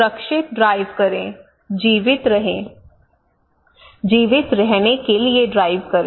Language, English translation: Hindi, Safe drive, Stay alive, drive to survive